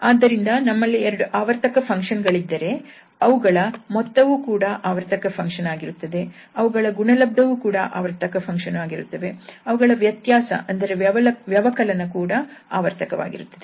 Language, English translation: Kannada, So, if we have two functions there sum will be also periodic, their product will be also periodic, their difference will be also periodic, their quotient will be also periodic